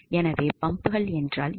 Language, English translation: Tamil, So there are, what are pumps